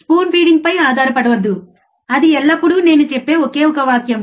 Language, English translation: Telugu, Do not rely on spoon feeding, that is always my one sentence,